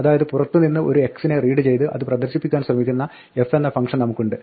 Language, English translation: Malayalam, So, we have function f which reads an x from outside and tries to print it